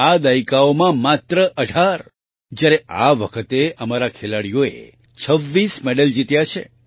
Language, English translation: Gujarati, In all these decades just 18 whereas this time our players won 26 medals